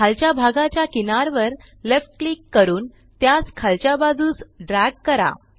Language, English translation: Marathi, Left click the left edge and drag it to the left